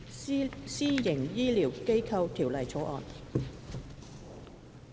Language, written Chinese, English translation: Cantonese, 《私營醫療機構條例草案》。, Private Healthcare Facilities Bill